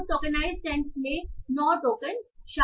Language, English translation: Hindi, So, tokenized send consists of nine tokens